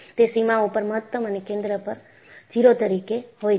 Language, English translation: Gujarati, It is, maximum at the boundary and 0 at the center